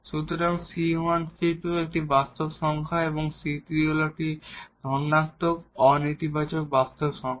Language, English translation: Bengali, So, c 1 c 2 any real number and the c 3 is a positive, a non negative real number